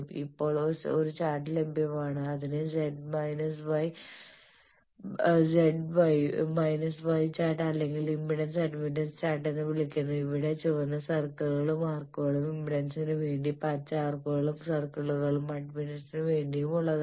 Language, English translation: Malayalam, Now there is a chart available it is called z y chart or impedance admittance chart, where the red circles and arcs are for impedance and the green arcs and circles are for admittance